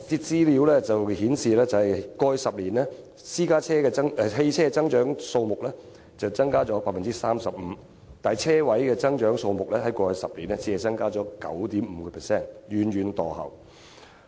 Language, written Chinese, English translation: Cantonese, 資料顯示，在過去10年，汽車增長率為 35%， 但泊車位增長率只有 9.5%， 遠遠墮後。, According to statistical data the number parking spaces increased by 9.5 % in the past 10 years lagging way behind a 35 % growth in the number of vehicles over the same period of time